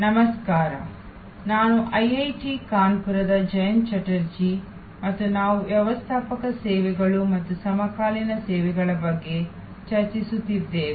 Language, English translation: Kannada, Hello, I am Jayanta Chatterjee from IIT Kanpur and we are discussing Managing Services and the Contemporary Issues